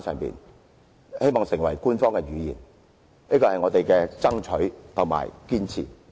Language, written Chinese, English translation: Cantonese, 希望手語成為官方語言，這是我們的爭取和堅持。, We hope that sign language can become an official language . This is what we fight for and insist